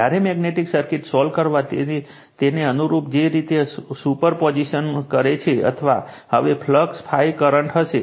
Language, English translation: Gujarati, When we will solve the magnetic circuit, we will follow the same way the way you do super position or now we will phi current